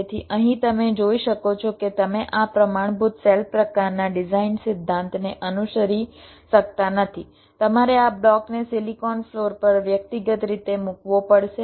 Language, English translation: Gujarati, so here, as you can see, if here you cannot follow this standard cell kind of design principle, left to place this block individually on the silicon floor, so after placing will have to interconnect them in a suitable way